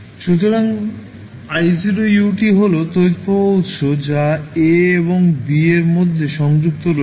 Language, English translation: Bengali, So, I naught ut is the current source which is connected between a and b